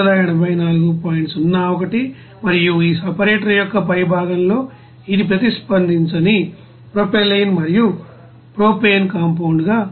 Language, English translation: Telugu, 01 and in the top of this you know separator it will come as unreacted propylene and propane compound